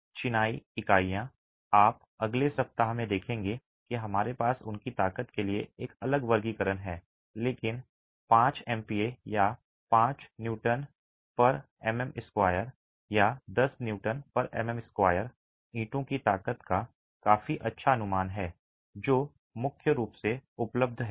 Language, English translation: Hindi, Masonry units you will see in the next week that we have a different classification for their strengths but 5 megapascal or 5 Newton per millimeter square or a 10 Newton per millimeter square is a fairly good estimate of the strength of bricks that are predominantly available